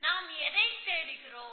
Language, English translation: Tamil, What are we looking for